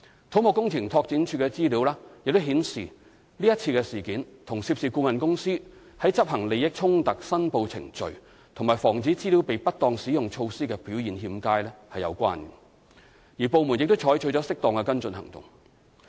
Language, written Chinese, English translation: Cantonese, 土木工程拓展署的資料亦顯示，這次事件與涉事顧問公司在執行利益衝突申報程序及防止資料被不當使用措施的表現欠佳有關，而部門已採取了適當的跟進行動。, CEDDs information also indicated that the current incident was related to the poor performance of the consultant involved in executing declaration procedure against conflict of interest and preventive measures against improper use of information . The department concerned had also taken proper follow - up actions